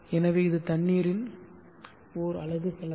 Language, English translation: Tamil, 9 / m3 so this is the unit cost of water